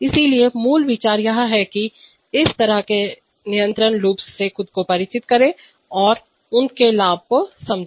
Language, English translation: Hindi, So this, so the basic idea is to familiarize ourselves with this kind of control loops and understand their advantage